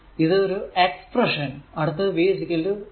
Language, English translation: Malayalam, Now also another thing is given that v is equal to 3 di by dt